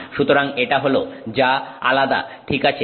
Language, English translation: Bengali, So, this is what is different